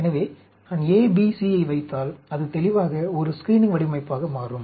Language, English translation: Tamil, So, if I put A, B, C, then, obviously it becomes a screening design